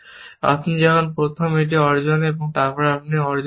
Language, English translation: Bengali, When you first, achieve this, then you achieved this